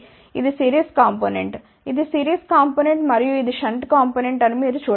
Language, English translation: Telugu, You can see that this is the series component, this is the series component and this is the shunt component